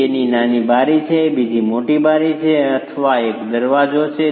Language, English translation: Gujarati, One is a smaller window, the other is a bigger window, one is a door